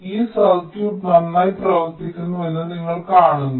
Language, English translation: Malayalam, so you see, this circuit works perfectly well